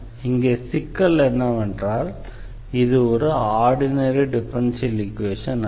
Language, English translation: Tamil, The problem here is that solving this equation because this is not an ordinary equation